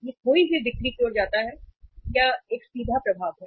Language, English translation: Hindi, It it leads to the lost sales, that is a direct effect